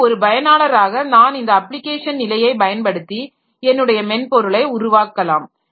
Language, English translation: Tamil, And again, so as a user, so I can use this application layer and develop my software